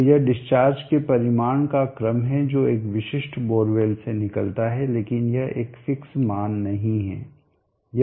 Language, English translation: Hindi, So this is the order of magnitude of the discharge it will be coming out of a typical bore well but this is a not a strict value